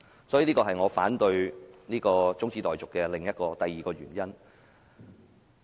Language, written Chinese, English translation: Cantonese, 這是我反對中止待續議案的第二個原因。, This is my second reason why I oppose the adjournment motion